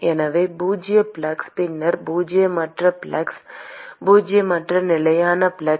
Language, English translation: Tamil, So zero flux, and then non zero flux non zero constant flux